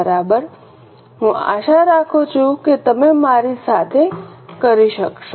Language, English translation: Gujarati, Fine I hope you are able to do with me